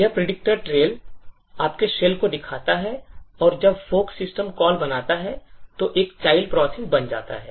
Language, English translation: Hindi, So, this predictor trail shows your shell and when the fork system calls get created is, at child process gets created